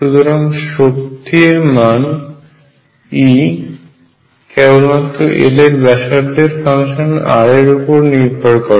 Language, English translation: Bengali, So, the energy E depends on L and radial function r only